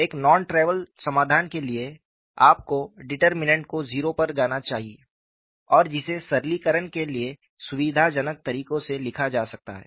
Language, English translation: Hindi, For non trivial solution, you have to have the determinant, should go to 0; and which could be written in a fashion convenient for simplification